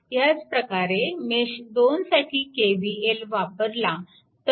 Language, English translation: Marathi, If you apply KVL in mesh 2, so same way you can move